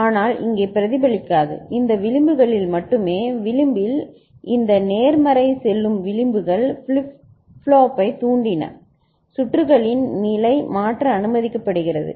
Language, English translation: Tamil, But here it will not be reflected, only in these edges, these positive going edges in edge triggered flip flop, the circuit’s state is allowed to change ok